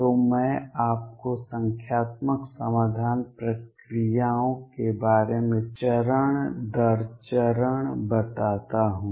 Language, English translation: Hindi, So, let me take you through he numerical solution procedures step by step